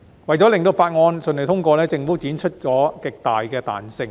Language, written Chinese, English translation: Cantonese, 為了令法案順利通過，政府展示了極大的彈性。, To facilitate the smooth passage of the Bill the Government has shown enormous flexibility